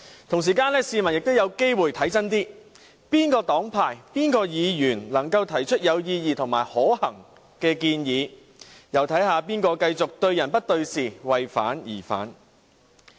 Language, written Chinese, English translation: Cantonese, 同時間，市民也有機會看清楚哪個黨派、哪位議員能夠提出有意義及可行的建議，又可以看看誰會繼續對人不對事，為反對而反對。, At the same time people can also have an opportunity to see clearly for themselves which political parties and Members can put forward meaningful and feasible proposals and who will continue to be subjective rather than being objective and to raise opposition for the sake of opposition